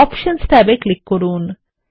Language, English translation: Bengali, Click on the Options tab